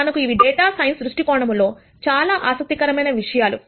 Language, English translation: Telugu, We are interested in things like this, from a data science viewpoint